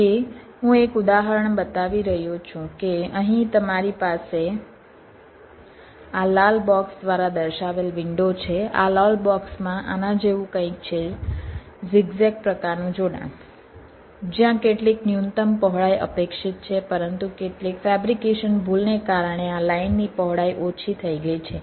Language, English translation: Gujarati, this red box has a something like this say: ah, zigzag kind of a connection where some minimum width is expected, but due to some fabrication error, the width of this line has been reduced